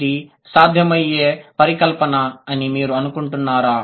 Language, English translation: Telugu, Do you think this is a possible hypothesis